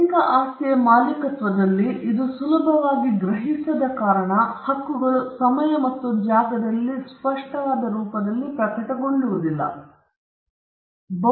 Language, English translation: Kannada, Intellectual property because it is not readily discernible, because the rights don’t manifest itself in time and space, on a tangible form